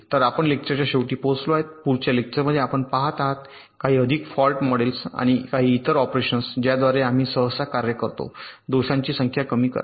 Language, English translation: Marathi, in the next lecture we shall be looking at some more fault models and some other means, operations that we typically carry out to reduce the number of faults